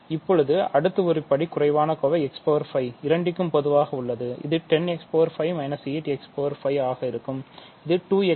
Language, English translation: Tamil, Now, to add the next monomial x power 5 is common to both, so it will be 10 x 5 minus 8 x 5 so, this is 2 x 5 ok